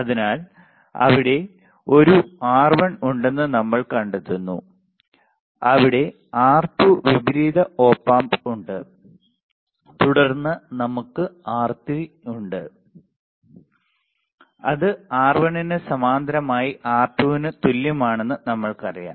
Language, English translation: Malayalam, So, what we find there is a R1 there is R2 inverting Op Amp and then we have R3 which we already know which would be equal to R2 parallel to R1